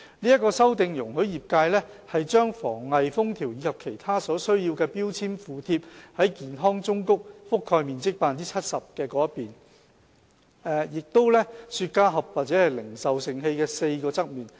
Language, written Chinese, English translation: Cantonese, 這項修訂容許業界把防偽封條及其他所需標籤附貼在健康忠告覆蓋面積 70% 的表面，以及雪茄盒或零售盛器的4個側面。, The change allows the trade to affix the authenticity seals and necessary labels to the side with the health warning covering 70 % of the surface as well as the four lateral surfaces of the box or retail container